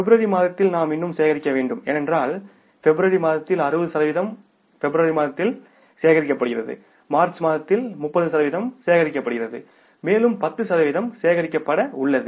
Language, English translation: Tamil, So, in this quarter we have to collect the which are the sales which are collectible that for the month of February, we still have to collect the because in the month of February, 60% is collected in the month of February, 30% is collected in the month of March and 10% is left to be collected